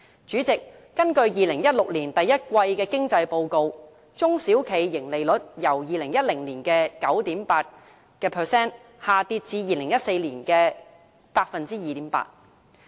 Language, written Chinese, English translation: Cantonese, 主席，根據2016年第一季經濟報告，中小企盈利率由2010年的 9.8% 下跌至2014年 2.8%。, President according to the First Quarter Economic Report 2016 the earnings ratio of SMEs dropped from 9.8 % in 2010 to 2.8 % in 2014 . SMEs are an important constituent in the Hong Kong economy